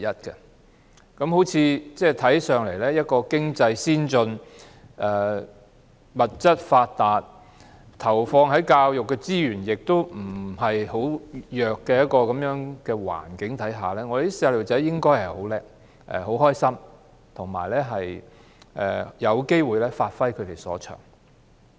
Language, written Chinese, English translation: Cantonese, 在一個看似經濟先進、物質發達、投放教育資源不太弱的環境之下，小朋友理應很優秀、很快樂，而且有機會發揮所長。, Given the apparently advanced economy abundance of resources and high input of educational resources our children should be very excellent and very happy and they should also have the opportunity to give full play to their strengths